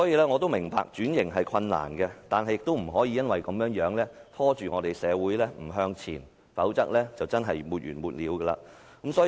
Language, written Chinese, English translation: Cantonese, 我明白轉型是困難的，但亦不能因此而拖着社會不向前走，否則便會沒完沒了。, I understand that transformation is difficult but we cannot stall society from moving forward on this ground . Otherwise it will never end